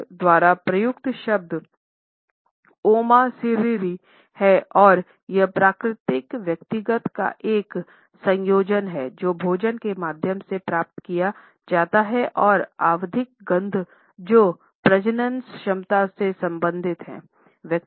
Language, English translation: Hindi, The word which is used by them is Oma Seriri and it is a combination of natural personal odors which are acquired through the food one eats, odors which are caused by emotions and periodic odors which are related to fertility